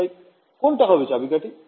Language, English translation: Bengali, So, what will be the key